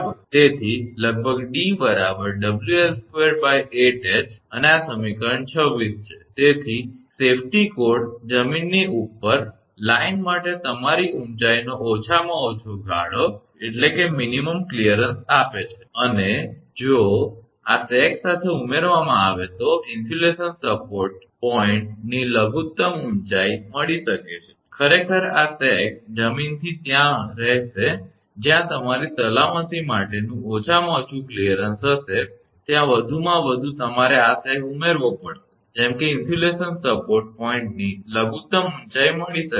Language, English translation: Gujarati, So, approximately d is equal to W L square upon 8 H, and this is equation 26 therefore, the safety code gives the minimum clearance your height for the line above ground and if this is added to the sag the minimum height of the insulation support points can be found, actually this sag will be there from the ground the minimum your safety clearances will be there in addition to that you have to add this sag also right such that minimum height of the insulation support points can be found